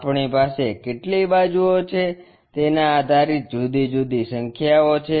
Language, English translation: Gujarati, Based on how many sides we have we have different numbers